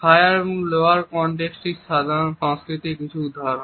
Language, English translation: Bengali, What is high and low context culture